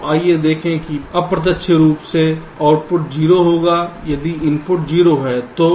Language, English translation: Hindi, lets see that we indirectly, the output will be zero if both the inputs are zero, right